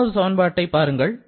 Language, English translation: Tamil, Try to remember this equation